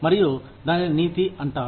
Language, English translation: Telugu, And, that is called ethics